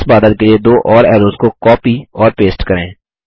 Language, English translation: Hindi, Lets copy and paste two more arrows for this cloud